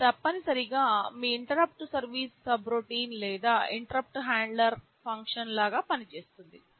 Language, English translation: Telugu, This essentially functions like your interrupt service subroutine or interrupt handler